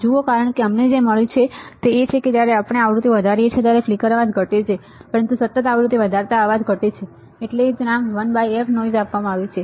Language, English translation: Gujarati, See because what we have found is when we increase the frequency the flicker noise decreases or increasing the frequency the flicker noise decreases right that is why the name is given 1 by f noise